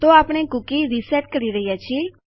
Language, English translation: Gujarati, So we are resetting a cookie